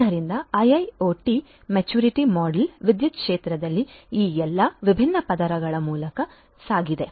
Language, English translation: Kannada, So, IIoT maturity model has gone through all of these different layers in the power sector